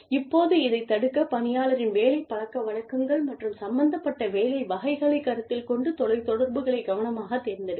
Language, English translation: Tamil, Now, to prevent this, one should select the telecommuters with care, considering the work habits of the employee, and the type of work, that is involved